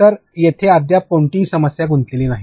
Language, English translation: Marathi, So, there is no content involved here yet